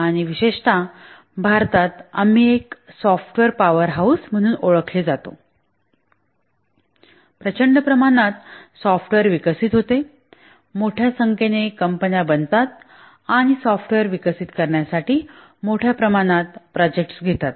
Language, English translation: Marathi, We encounter software in many places and especially in India, we are known as a software powerhouse, huge amount of software gets developed, large number of companies and they undertake large number of projects to develop software